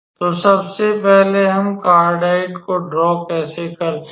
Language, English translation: Hindi, So, the curve first of all if we draw the how to say a cardioide